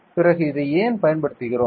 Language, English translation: Tamil, Then why we use this is